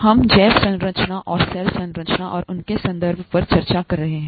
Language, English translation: Hindi, We are discussing biomolecules and their relationship to cell structure and function